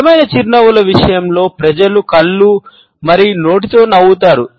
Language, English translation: Telugu, In case of genuine smiles, people smile both with their eyes and mouth